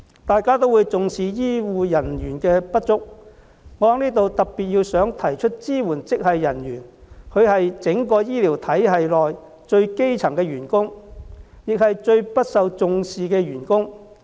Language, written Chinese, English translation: Cantonese, 大家也重視醫護人手不足，我在此想特別指出，支援職系人員是整個醫療系統內最基層的員工，亦是最不受重視的員工。, The shortage of health care personnel is of concern to all of us . I would like to particularly point out here that supporting staff are at the most junior level in the entire health care system and are also given the least attention